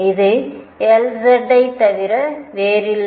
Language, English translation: Tamil, And this is nothing but L z